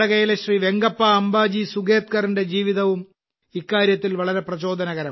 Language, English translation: Malayalam, The life of Venkappa Ambaji Sugetkar of Karnataka, is also very inspiring in this regard